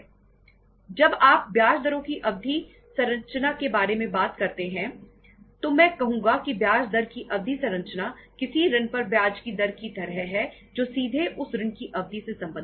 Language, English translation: Hindi, When you talk about the term structure of interest rates I would say that term structure of interest rate is like the rate of interest of any on any loan is is related directly to the duration of that loan